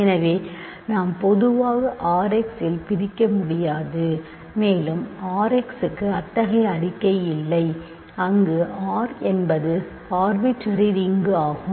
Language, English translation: Tamil, So, that is why we cannot divide in general in R x and we do not have such a statement for R x, where R is an arbitrary ring